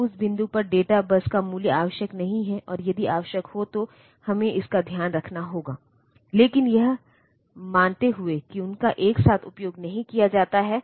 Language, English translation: Hindi, So, data bus value is not necessary at that point and if it is necessary we have to take care of that, but assuming that they are not used simultaneously